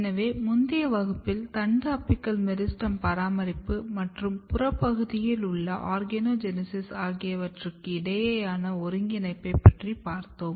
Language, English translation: Tamil, So, in previous class we have discussed the coordination between shoot apical meristem maintenance as well as the organogenesis in the peripheral region